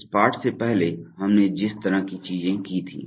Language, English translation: Hindi, The kind of things that we did before this lesson